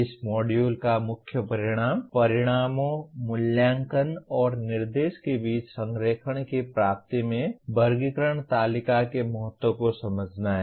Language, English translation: Hindi, Main outcome of this module is understand the importance of taxonomy table in attainment of alignment among outcomes, assessment and instruction